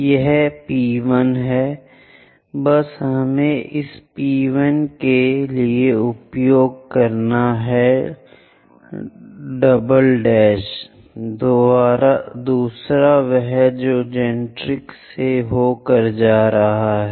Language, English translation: Hindi, This one is P1 let us just use primes for this P1 prime, second one it goes via generatrix